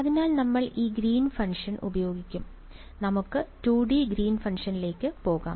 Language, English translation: Malayalam, So, we will be using this Green’s function right and so, let us go to the 2 D Green’s function right